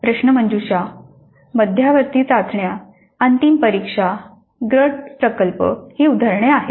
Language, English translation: Marathi, Examples are quizzes, midterm tests, final examinations, group projects